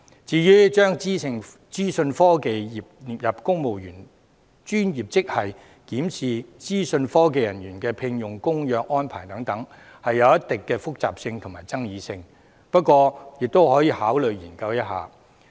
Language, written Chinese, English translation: Cantonese, 至於"將資訊科技專業列入公務員專業職系"及檢視聘用資訊科技人員的合約安排等，則具一定的複雜性和爭議性，不過亦可予以考慮和研究。, As regards the recommendations for exploring the inclusion of the information technology profession in the list of civil service professional grades and reviewing the contractual arrangement of employing IT staff they are complicated and controversial to a certain extent but can still be considered and studied